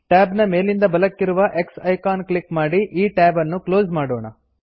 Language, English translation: Kannada, Lets close this tab, by clicking on the X icon, at the top right of the tab